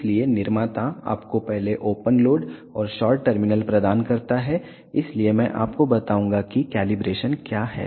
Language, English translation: Hindi, So, the manufacturer provides you open load and short terminals so firstly, I will tell you what is the calibration